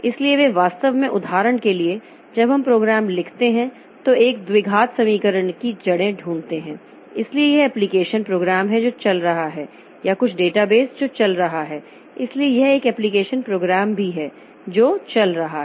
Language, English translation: Hindi, So, they are actually the for example finding roots of a quadratic equation when you write the program so that is up you know application program that is running so or some database that is running so that is also an application program that is running